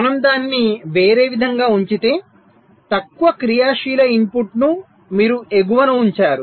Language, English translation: Telugu, but if we put it the other way round, the least active input you put at the top